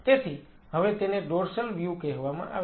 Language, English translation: Gujarati, So, now, that is called a dorsal view